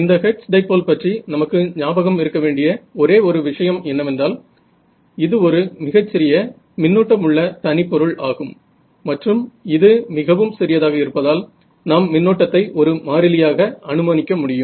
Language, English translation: Tamil, The only sort of a thing to remember about this hertz dipole it was a very very small current element and because it is very small, you can assume current is approximately constant thing right